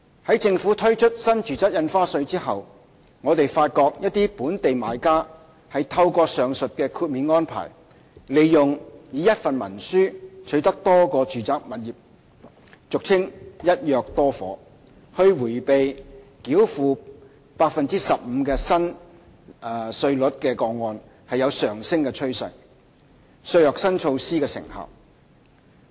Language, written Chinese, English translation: Cantonese, 在政府推出新住宅印花稅後，我們發覺一些本地買家透過上述的豁免安排，利用一份文書取得多個住宅物業以迴避繳付 15% 新稅率的個案有上升的趨勢，削弱新措施的成效。, After the Government had introduced NRSD we noticed an increasing trend in which some local buyers acquired multiple residential properties under a single instrument by making use of the above exemption arrangement to evade the payment of the new rate of 15 % thereby undermining the intended effect of the new measure